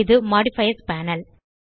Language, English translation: Tamil, This is the Modifiers panel